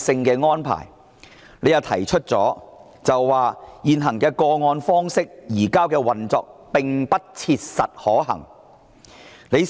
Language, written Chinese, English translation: Cantonese, 局長表示現時以個案方式移交逃犯，運作上並不切實可行。, The Secretary said that currently cased - based surrender of fugitive offenders was not operationally feasible